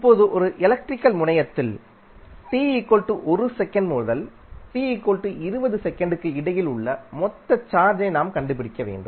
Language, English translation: Tamil, And now to find out the total charge entering in an electrical terminal between time t=1 second to t=2 second